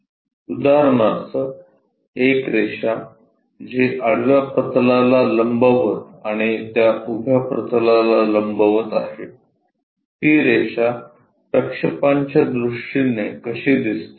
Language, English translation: Marathi, For example, a line which is perpendicular to the horizontal plane and perpendicular to that vertical plane, how it really turns out to be in terms of projections